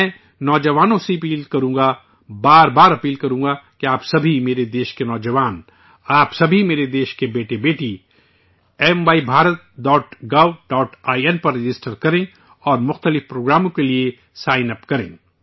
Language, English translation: Urdu, I would urge the youth I would urge them again and again that all of you Youth of my country, all you sons and daughters of my country, register on MyBharat